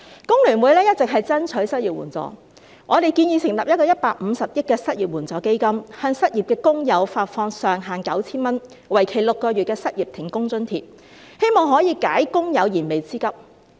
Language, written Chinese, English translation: Cantonese, 工聯會一直爭取失業援助，我們建議成立一個150億元的失業援助基金，向失業的工友發放上限 9,000 元，為期6個月的失業停工津貼，希望可以解工友燃眉之急。, FTU has been striving for unemployment assistance and our proposal is to set up an unemployment assistance fund of 15 billion under which a jobless person can receive a monthly allowance of up to 9,000 for a maximum period of six months for being unemployed or laid off with a view to meeting their urgent needs